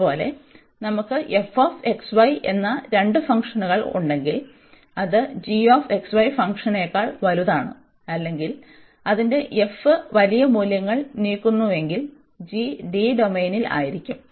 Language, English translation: Malayalam, Similarly, if we have two functions f x, y, which is greater than the function g x, y or its this f is taking move the larger values then the g on the domain D